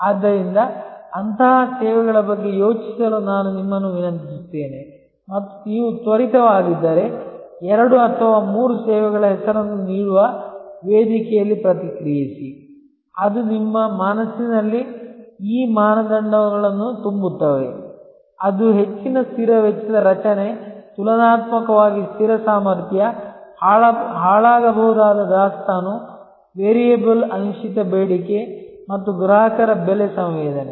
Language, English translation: Kannada, So, I would request you to think about such services and if you are quick, then respond in the forum giving names of two or three services, which in your mind full fill these criteria; that is high fixed cost structure, relatively fixed capacity, perishable inventory, variable uncertain demand and varying customer price sensitivity